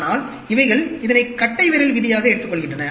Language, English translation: Tamil, But, these are just taken it as the rule of thumb